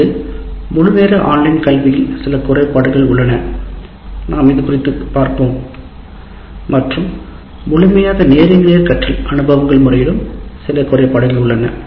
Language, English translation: Tamil, That means fully online has some limitations as we will see and fully face to face learning experiences have their own limitations